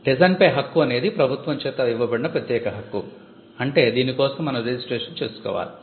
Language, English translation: Telugu, Design again it is an exclusive right it is conferred by the government, which means it involves registration